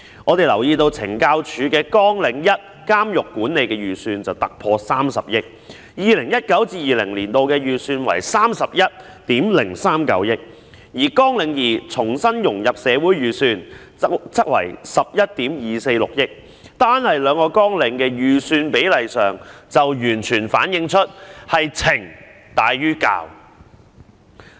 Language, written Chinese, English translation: Cantonese, 我們留意到，懲教署在綱領1監獄管理的預算突破了30億元，在 2019-2020 年度的預算達31億390萬元，而綱領2重新融入社會的預算則為11億 2,460 萬元，單看兩項綱領的預算比例，已經完全反映它是懲大於教的。, We have noticed that the expenditure estimate of CSD for Programme 1 Prison Management exceeds 3 billion reaching 3,103.9 million in 2019 - 2020 whereas that for Programme 2 Re - integration is 1,124.6 million . The ratio of the estimates for the two programmes alone can already fully reflect that it attaches greater importance to punishment than correction